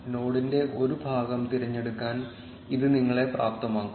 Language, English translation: Malayalam, This will enable you to select a part of the node